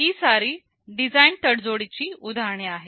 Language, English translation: Marathi, These are examples of design tradeoffs